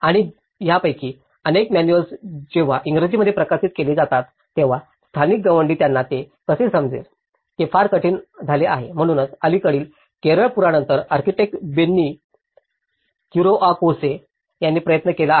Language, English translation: Marathi, And many of these manuals, when they are published in English, it becomes very hard how a local mason can understand it, so that is where a recent efforts have been done by architect Benny Kuriakose after the recent Kerala floods